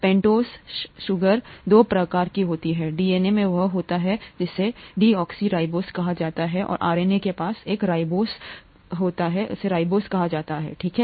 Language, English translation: Hindi, The pentose sugars are of two kinds, DNA has what is called a deoxyribose and RNA has what is called a ribose, okay